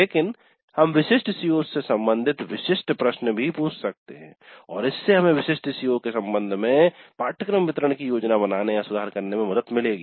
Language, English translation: Hindi, But we can also ask specific questions related to specific COs and that would help us in planning, improving the delivery of the course with respect to specific CEOs